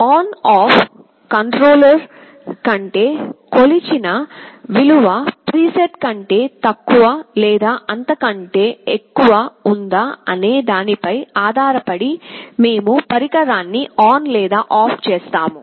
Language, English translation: Telugu, ON OFF controller means we either turn on or turn off the device depending on whether the measured value is less than or greater than the preset